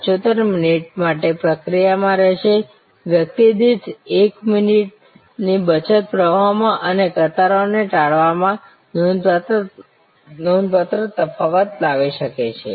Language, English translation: Gujarati, 75 minutes, saving of 1 minute per person can make a remarkable difference in the flow and in avoidance of queues